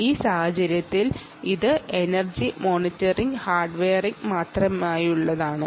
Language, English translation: Malayalam, in this case this is specific to the energy monitoring hardware